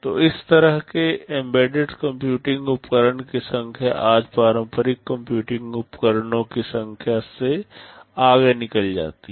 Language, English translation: Hindi, So, the number of such embedded computing devices far outnumber the number of conventional computing devices today